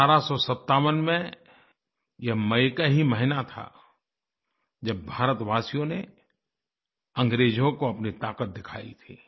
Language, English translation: Hindi, This was the very month, the month of May 1857, when Indians had displayed their strength against the British